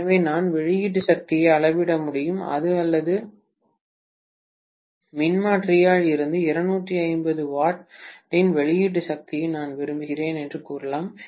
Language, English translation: Tamil, So, I may be able to measure the output power or I may say that I want an output power of maybe 250 watts from this transformer